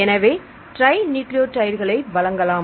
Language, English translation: Tamil, So, we provide trinucleotides